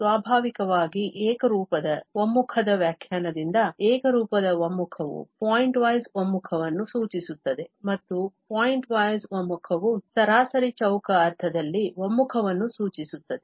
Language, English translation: Kannada, Naturally, from the definition of the uniform convergence is clear that the uniform convergence implies pointwise convergence and pointwise convergence implies the convergence in the mean square sense